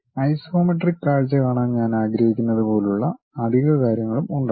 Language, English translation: Malayalam, And there will be additional things like, I would like to see isometric view